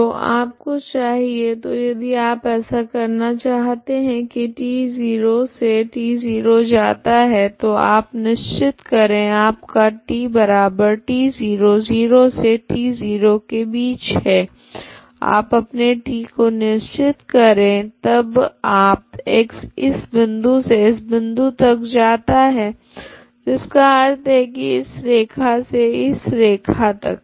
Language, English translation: Hindi, So you need so if you want to do this t is running from 0 to t 0 so you fix your t equal to t 0, okay between 0 to t 0 you fix your t then your x should go from this point to this point so that means from this line to this line, okay